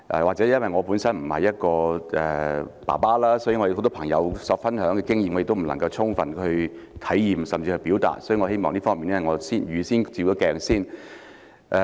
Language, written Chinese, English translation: Cantonese, 或許因為我本身並不是一名父親，很多朋友分享的經驗，我也不能夠充分體驗甚或表達，所以我想預先就這方面照一照鏡子。, Perhaps it is because I am not a father per se that I am unable to fully relate to or even express the experience shared by many friends so I wish to look in the mirror in advance in this regard